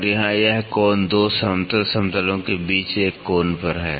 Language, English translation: Hindi, And, here this angle between 2 flat planes at an angle